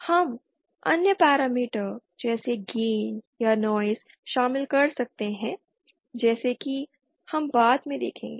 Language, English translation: Hindi, We can include other parameter like gain or noise as we shall see later